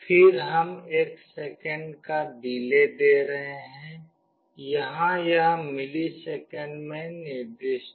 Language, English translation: Hindi, Then we are giving a delay of one second, here it is specified in millisecond